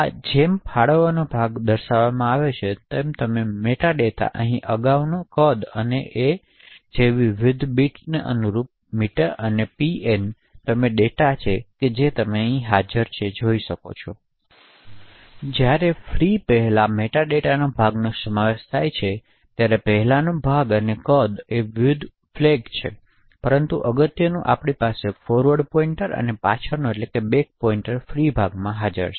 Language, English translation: Gujarati, The allocated chunk looks something like this do you have the metadata over here corresponding to previous and the size and the various bits like n and p and you have the data which is present here while the free chunk comprises of the metadata as before the previous chunk and the size and the various flags but importantly we have the forward pointer and the back pointer present in the free chunk